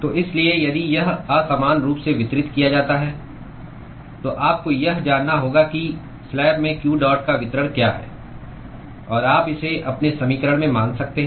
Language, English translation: Hindi, So, therefore if it is unevenly distributed, then you will have to know what is the distribution of q dot in the slab; and you could consider that in your equation